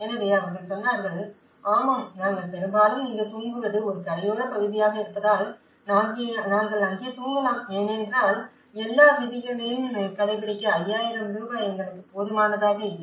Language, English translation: Tamil, So, then they said, yeah we mostly sleep here being a coastal area we can sleep there because that 5000 was not sufficient for us to keep all the rules